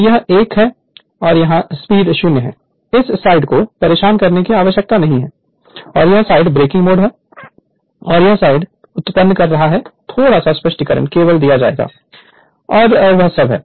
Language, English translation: Hindi, So, it is one and here speed is 0 this side need not bother and this side breaking mode and this side is generating mode a little bit explanation only will be given and that is all right